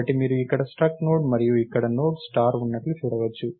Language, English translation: Telugu, So, you can see that there is struct Node here, and Node star here